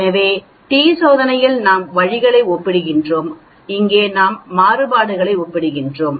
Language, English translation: Tamil, So in the t test we are comparing means, here we are comparing variances